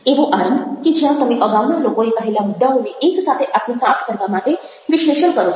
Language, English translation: Gujarati, opening where you analyze the points made by earlier people to assimilate them together